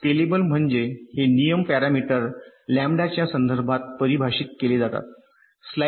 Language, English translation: Marathi, scalable means this rules are defined in terms of a parameter, lambda, like, lets say